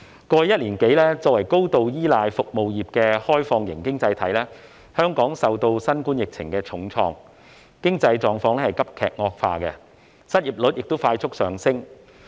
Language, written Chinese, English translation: Cantonese, 過去一年多，香港作為高度依賴服務業的開放型經濟體，受新冠疫情重創，經濟狀況急劇惡化，失業率亦快速上升。, Over the past one - odd year Hong Kong with an open economy which heavily relies on service industries has been hard hit by the Coronavirus Disease 2019 COVID - 19 pandemic with drastic deterioration in its economic condition and a rapid increase in its unemployment rate